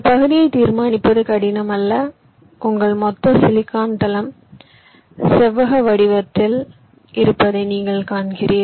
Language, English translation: Tamil, ok, determining area is not difficult because you see your total silicon floor is rectangular in nature